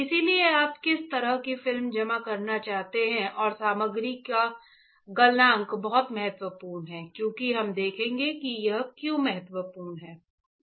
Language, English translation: Hindi, So, depending on what kind of film you want to deposit and the melting point of the material is very important because that we will see why it is important